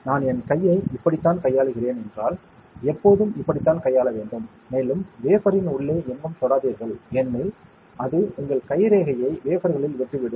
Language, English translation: Tamil, So, if I am handling with my hand like this should always be handled like this and do not touch anywhere inside the wafer because that will leave your fingerprint mark on the wafer